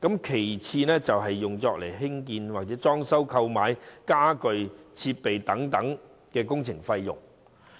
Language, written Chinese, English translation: Cantonese, 其次，有關支援可用作興建、裝修、購買傢具、設備等工程費用。, Moreover the provision provided may be spent on construction works renovation works and the procurement of furniture and facilities and so on